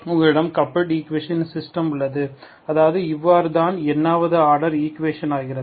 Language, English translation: Tamil, You have system of coupled equations, that is, that is what it becomes any nth order equation